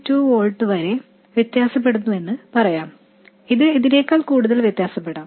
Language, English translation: Malayalam, 2 volts it can vary by even more than that